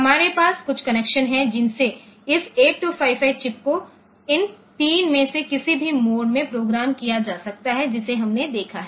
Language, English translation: Hindi, which this 3 8255 chip can be programmed in any of these 3 modes that we have seen